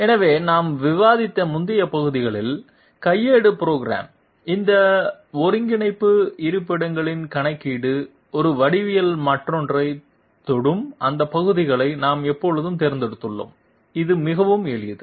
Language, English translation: Tamil, So in the previous parts that we have discussed for manual programming, we have always selected those parts where computation of these coordinate locations where one geometry touches the other, the computation of these parts is very simple